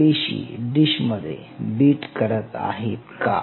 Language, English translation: Marathi, Are those cells in the dish beating